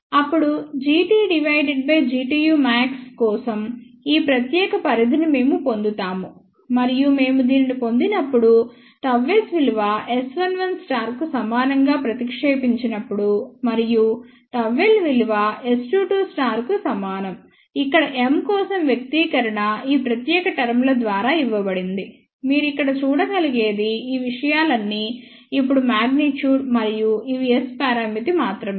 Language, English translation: Telugu, Then, we get this particular range for G t divided by G tu max and when we obtain this, when we substitute gamma S is equal to S 11 conjugate and gamma l is equal to S 22 conjugate where the expression for M is given by this particular terms over here, what you can see over here all these things are magnitude now and also these are only S parameter